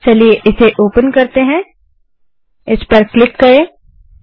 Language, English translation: Hindi, Lets open this, click on calculator